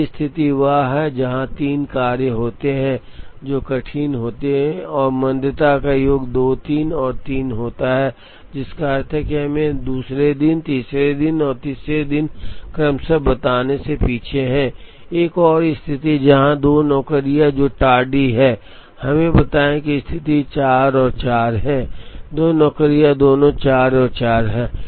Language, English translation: Hindi, One situation where, there are 3 jobs that are tardy and the sum of the tardiness are 2 3 and 3, which means they are behind by let us say 2 days, 3 days and 3 days respectively, there is another situation, where a 2 jobs that are tardy, let us say the situation is 4 and 4, the 2 jobs both are 4 and 4